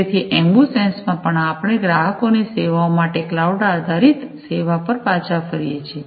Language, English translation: Gujarati, So, in the AmbuSens as well, we are falling back on the cloud based service for offering the services to the customers